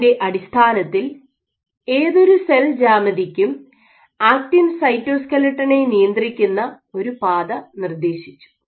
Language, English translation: Malayalam, So, based on this they suggested a pathway in which any cell geometry that you regulate will influence the actin cytoskeleton ok